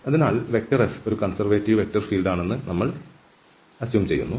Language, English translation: Malayalam, So, what is a conservative vector field